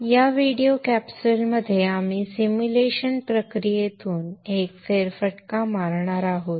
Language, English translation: Marathi, In this video capsule we shall take a walk through the simulation process